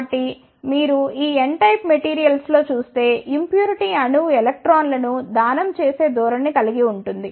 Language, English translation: Telugu, So, if you see in these n type of materials the impurity atom have a tendency to a donate the electrons